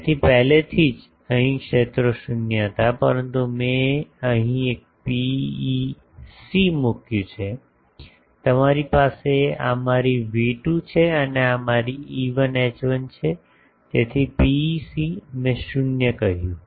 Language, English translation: Gujarati, So, already here the fields were 0, but I have put a PEC here, you have this is my V2 and this is my E1 H1, so PEC I said 0 0